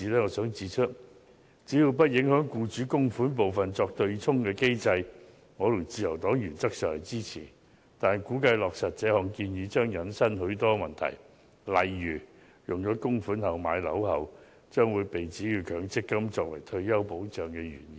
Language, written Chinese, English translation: Cantonese, 我想指出只要不影響以僱主供款部分作對沖的機制，我和自由黨原則上會支持，但估計在落實這項建議時將引申出許多問題，例如把供款用作買樓，會被指有違強積金作為退休保障的原意。, I have to say that as long as it does not affect the mechanism of offsetting long service payment and severance payment with the employers contributions I together with the Liberty Party will in principle support the idea . However I reckon that a lot of problems will arise when the proposal is put into practice . For example using MPF contributions for purchasing property may attract criticism of running contrary to the MPF schemes original intention of providing retirement protection